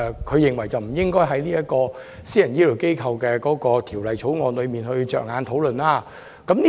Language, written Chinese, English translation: Cantonese, 他認為護養院不應是《私營醫療機構條例草案》的討論焦點。, He held that nursing homes should not be the focus of discussion on the Private Healthcare Facilities Bill the Bill